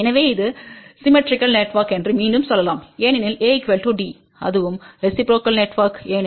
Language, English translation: Tamil, So, again you can say that this is symmetrical network why because A is equal to D, it is also reciprocal network because AD minus BC will be equal to 1